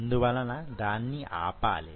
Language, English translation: Telugu, So, you have to stop it